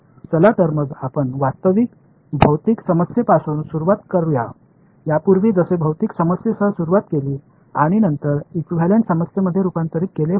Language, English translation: Marathi, So, let us let us start with start with the real problem the physical problem like earlier started with physical problem and then the converted into an equivalent problem